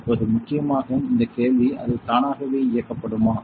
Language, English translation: Tamil, In the main what question will automatically turn on now